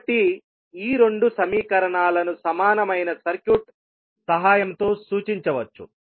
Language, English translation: Telugu, So, these two equations can be represented with the help of a equivalent circuit